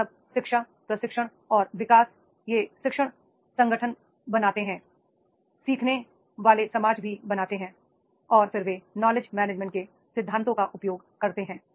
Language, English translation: Hindi, So, all these the education, training and development, they make the learning organizations, they make the learning society also and then they make the use of the principles of the knowledge management